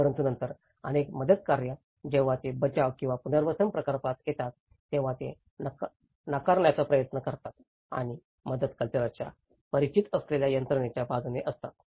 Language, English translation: Marathi, But then the many of the relief operations, when they come into the rescue or the rehabilitation projects, they try to reject and in favour of the systems familiar to an exercised by the relief culture